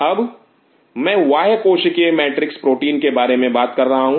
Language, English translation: Hindi, Now, I am talking about extra cellular matrix protein